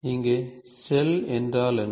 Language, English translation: Tamil, What is shell here